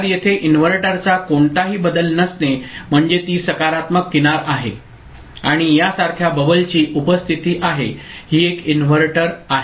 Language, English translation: Marathi, So, absence of any bubble here inverter means it is positive edge triggered and presence of a bubble like this, that is a inverter ok